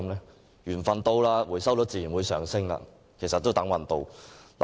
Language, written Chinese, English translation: Cantonese, 當緣份來到時，回收率便自然會上升，其實是"等運到"。, When the time comes the recycling rate will naturally rise . This is actually the same as waiting for luck